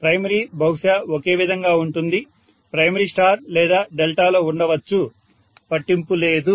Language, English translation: Telugu, The primary probably is the same, the primary can be in star or delta doesn’t matter